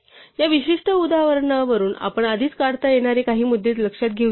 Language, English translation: Marathi, Let us note some points that we can already deduce from this particular example